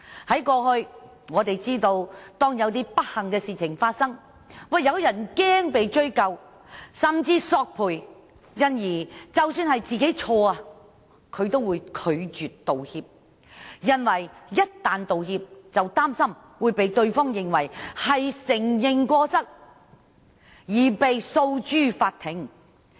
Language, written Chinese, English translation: Cantonese, 大家也知道，當過去發生一些不幸事情，有些人因擔心會被追究，甚至索償，所以即使是自己犯錯，也會拒絕道歉，因為擔心一旦道歉，便會被對方視為是承認過失，繼而訴諸法庭。, As we all know in cases of misfortunes in the past some people would refuse to apologize even if they were at fault fearing that they would thus be held accountable or even subject to compensation claims as they worried that issuing an apology would be regarded as an admission of fault and the other party would then bring the case to court